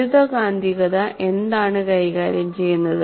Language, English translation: Malayalam, What does electromagnetics deal with